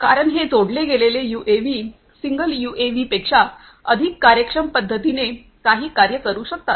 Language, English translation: Marathi, Because, these connected ones can do activities can do achieve certain tasks in a much more efficient manner than the single UAVs